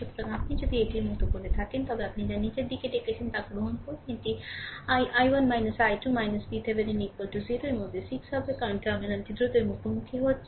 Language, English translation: Bengali, So, if you make it like this take your what you call in the downwards, it will be 6 into that i 1 minus i 2 minus V Thevenin is equal to 0